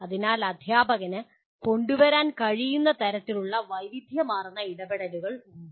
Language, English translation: Malayalam, So there are a large variety of types of interventions that can be brought in by the teacher